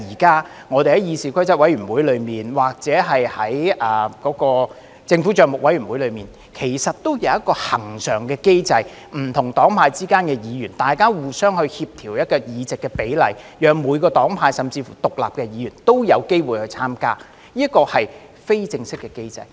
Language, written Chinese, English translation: Cantonese, 代理主席，議事規則委員會及政府帳目委員會現時均設有一個恆常機制，不同黨派的議員會互相協調委員的比例，讓每個黨派甚至乎獨立的議員也有機會參加，這是非正式的機制。, Deputy President both CRoP and the Public Accounts Committee currently have a standing mechanism under which Members from different parties and camps would coordinate the composition of membership such that Members from each party and camp and even independent Members can have the opportunity to participate . This is an informal mechanism